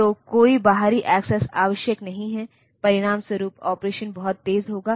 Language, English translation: Hindi, So, no external access is necessary, as a result the operation will be much faster